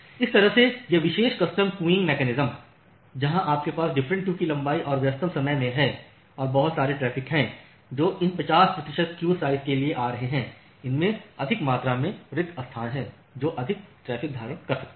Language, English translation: Hindi, So, that way this particular custom queuing mechanism where you have different queue length and in the peak hour so, and there are lots of traffics which are coming for these 50 percent queue size it has more amount of spaces it can hold more traffic